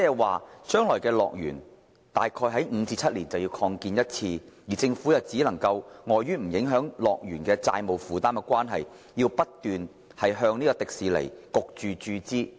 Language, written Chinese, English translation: Cantonese, 換句話說，樂園大概每5至7年便有需要進行擴建，而在不影響樂園債務負擔的情況下，政府將會被迫不斷向迪士尼注資。, In other words HKDL will probably need expansion every five to seven years and in order not to affect HKDLs debt burden the Government will be forced to inject funds into Disneyland continuously